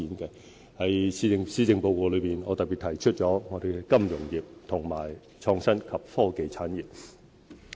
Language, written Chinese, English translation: Cantonese, 在施政報告內，我特別提出本港的金融業和創新及科技產業。, In the Policy Address I have particularly mentioned the financial industry and the innovation and technology industry